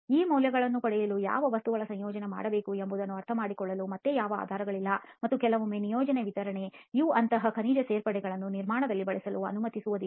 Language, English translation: Kannada, Again there is no basis on understanding what combination of materials should be used to actually get these values and sometimes the project specification may not be even allowing such mineral additives to be used in the construction